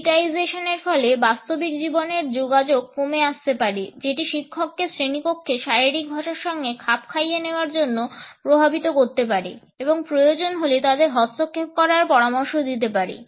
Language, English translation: Bengali, Digitization may result in lesser real time engagements, which may affect the opportunity on the part of a teacher to adapt to the body language in a classroom and suggest intervention if it is required